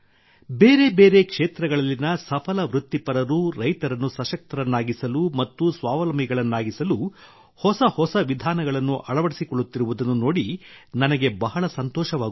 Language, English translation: Kannada, I feel very happy to see that successful professionals in various fields are adopting novel methods to make small farmers empowered and selfreliant